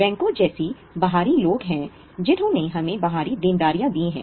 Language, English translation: Hindi, There are external people like banks who have given us external liabilities